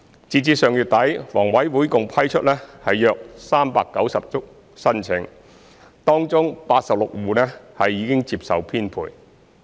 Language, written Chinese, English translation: Cantonese, 截至上月底，房委會共批出約390宗申請，當中86戶已接受編配。, As at the end of last month HA has approved about 390 applications of which 86 households have accepted the allocation